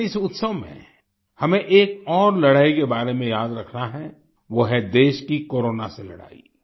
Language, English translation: Hindi, But during this festival we have to remember about one more fight that is the country's fight against Corona